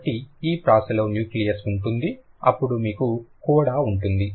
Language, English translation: Telugu, So, this rhyme will have a nucleus, then you will have a coda